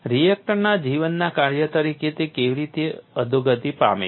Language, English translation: Gujarati, How it has degraded as a function of life of the reactor